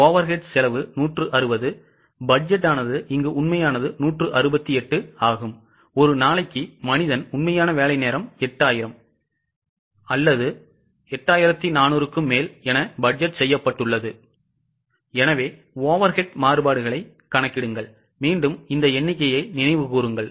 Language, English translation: Tamil, 9 overhead cost is 160 budgeted actual is 168 man hours per day was budgeted 8,000 actual or more, 8,400 compute overhead variances